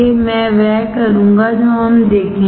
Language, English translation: Hindi, I will do that we will see